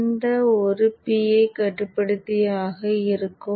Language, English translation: Tamil, So this would be a PI controller